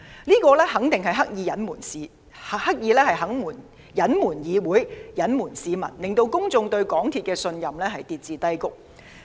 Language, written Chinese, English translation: Cantonese, 港鐵公司肯定是刻意對議會及市民有所隱瞞，令公眾對港鐵公司的信任跌至低谷。, It is certain that MTRCL has deliberately concealed the incident from DC and people causing public confidence in MTRCL to hit rock bottom